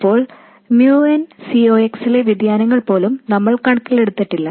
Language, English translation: Malayalam, Now we have not even taken into account the variations in mu and C Ox